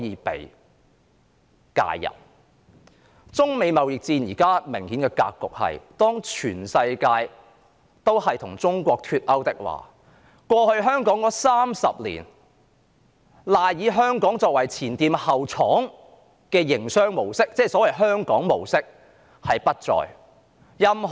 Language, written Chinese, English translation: Cantonese, 此外，中美貿易戰現時的明顯格局是，當世界各國均與中國脫鈎，香港過去30年賴以發展的"前店後廠"經濟模式——即所謂的香港模式——不復存在。, Moreover judging from the clear pattern of the China - United States trade war now when countries worldwide have decoupled from China the economic mode of front shop and back plant or the so - called Hong Kong mode on which Hong Kong has relied for development over the past three decades will cease to exist